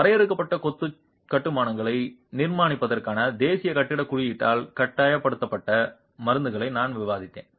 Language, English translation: Tamil, I have discussed prescriptions that are mandated by the National Building Code for construction of confined masonry constructions